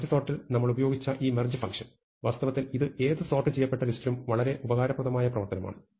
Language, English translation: Malayalam, So, this merge operation which we have used in merge sort, is actually a very useful operation on any sorted list